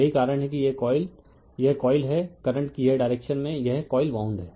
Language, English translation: Hindi, That is why this coil is is this coil this coil this direction of the current this coil is wound